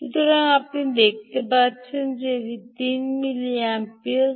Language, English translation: Bengali, so, ah, you have see, you can see that this is three milliamperes